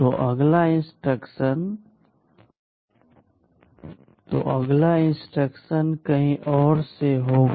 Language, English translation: Hindi, So, the next instruction will be from somewhere else